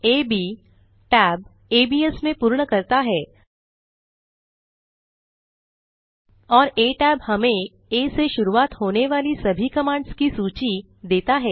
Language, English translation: Hindi, ab tab completes toabs and a tab gives us a list of all the commands starting with a